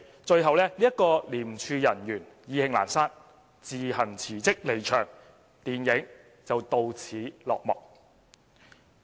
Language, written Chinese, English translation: Cantonese, 最後該名廉署人員意興闌珊，自行辭職離場，電影到此落幕。, Finally the ICAC officer is so disillusioned that she resigns bringing an end to the movie